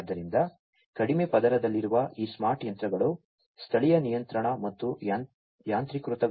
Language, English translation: Kannada, So, these smart machines at the lowest layer will help in local control and automation processes